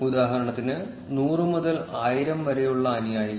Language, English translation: Malayalam, For instance, followers between 100 to 1000